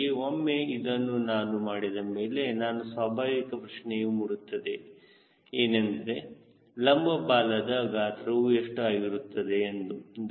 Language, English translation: Kannada, so once i do that, then natural question comes: what will be the vertical tail size